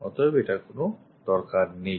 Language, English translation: Bengali, So, this one not required